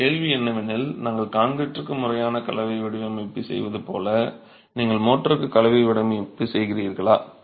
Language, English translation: Tamil, Your question is like we do a formal mixed design for concrete, do you do a mixed design for mortar